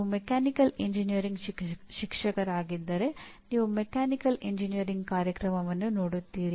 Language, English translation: Kannada, If you are a Mechanical Engineering teacher you look at a Mechanical Engineering program as such